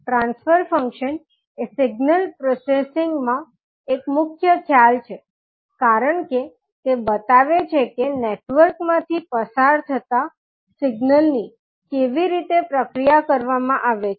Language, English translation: Gujarati, Transfer function is a key concept in signal processing because it indicates how a signal is processed as it passes through a network